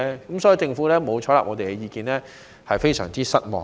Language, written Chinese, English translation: Cantonese, 因此，政府沒有採納我們的意見，我們對此非常失望。, Thus it has not taken on board our views and we are very disappointed about this